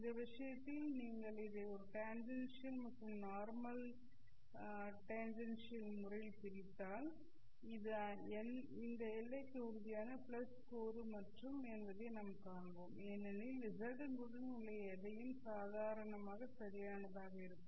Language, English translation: Tamil, If you break up this into tangential or decompose into a tangential and normal component, you will see that it's only the x component which is tangential to this boundary, because anything that is along z will be along normal, correct